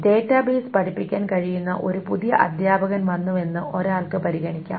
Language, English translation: Malayalam, One can consider that if there is a new teacher that comes who can teach database